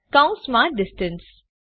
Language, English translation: Gujarati, In parentheses distance